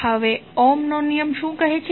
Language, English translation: Gujarati, Now, what Ohm’s law says